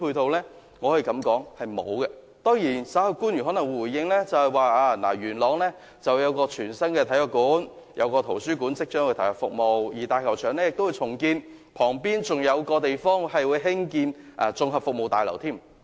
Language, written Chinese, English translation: Cantonese, 當然，官員稍後回應時可能會說，位於元朗的全新體育館及圖書館即將投入服務，而元朗大球場亦會重建，旁邊還會興建一座綜合服務大樓。, Of course the government official who is giving a response later on may say that a brand new sports centre and library will soon come into service in Yuen Long and that the Yuen Long Stadium will be redeveloped and a Community Services Building will be constructed on its side